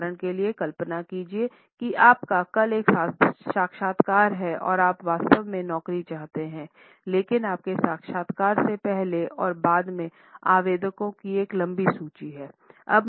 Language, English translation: Hindi, For example, imagine you have an interview tomorrow and you really want the job, but there is a long list of applicants before and after your interview